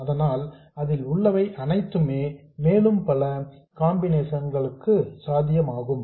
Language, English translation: Tamil, So that's all that's there to it and many combinations are possible